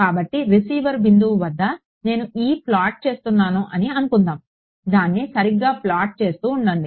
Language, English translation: Telugu, So, let us say I am plotting E at received point keep plotting it right